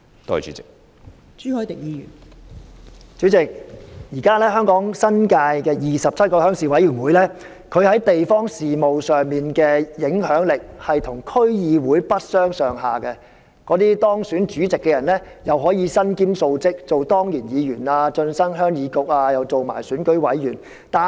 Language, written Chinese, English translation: Cantonese, 代理主席，現時香港新界27個鄉事會在地方事務上的影響力跟區議會不相上下，當選主席的人可以身兼數職，既可當上鄉議局的當然議員，又可以成為選舉委員。, Deputy President the 27 RCs in the New Territories of Hong Kong are as influential as District Councils in respect of district affairs and the elected chairmen can have a number of roles . They can be ex - officio councillors of HYK and members of the Election Committee